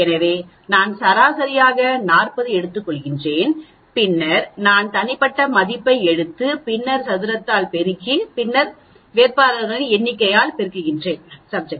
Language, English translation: Tamil, So, what do I do, I take a average this is my average is 40, then I will take the individual value and then multiplied by the then square it and then multiplied by the number of candidates